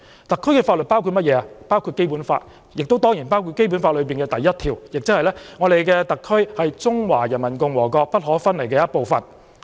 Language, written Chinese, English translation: Cantonese, 特區的法律包括《基本法》，亦當然包括《基本法》的第一條，即特區是中華人民共和國不可分離的部分。, The laws of SAR include the Basic Law and certainly include Article 1 of the Basic Law which stipulates that SAR is an inalienable part of the Peoples Republic of China